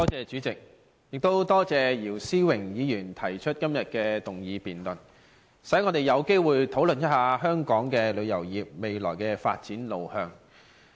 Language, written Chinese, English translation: Cantonese, 主席，多謝姚思榮議員提出今天這項議案，讓我們有機會討論一下香港旅遊業未來的發展路向。, President I thank Mr YIU Si - wing for moving todays motion giving us an opportunity to discuss the direction of the future development of Hong Kongs tourism industry